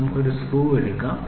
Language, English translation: Malayalam, So, let us try to take a screw, ok